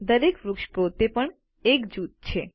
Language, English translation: Gujarati, Each tree is also a group by itself